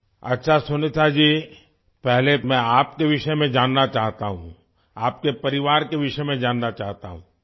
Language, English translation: Urdu, Okay Sunita ji, at the outset, I wish to know about you; I want to know about your family